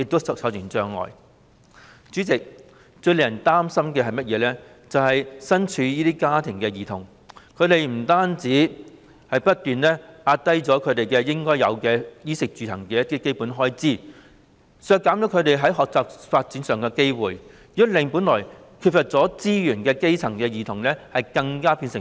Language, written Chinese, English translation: Cantonese, 代理主席，最令人擔心的是，身處這些家庭的兒童不單只能不斷壓縮他們應有的、在衣食住行方面的基本開支，以致削減他們學習和發展的機會，亦令本來已經缺乏資源的基層兒童變為更弱勢的社群。, Deputy President the greatest cause for concern is that the basic expenditures on food clothing transport and housing to which children in these families are entitled can only be compressed all the time and as a result their opportunities of learning and development are reduced and grass - roots children who already lack resources become an even more underprivileged group